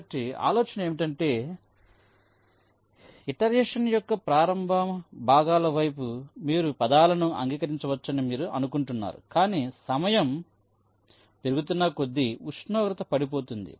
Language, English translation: Telugu, so the idea is that there is initially, towards the initial parts of the iteration you are saying that you may accept words moves many a time, but as time progresses the temperature drops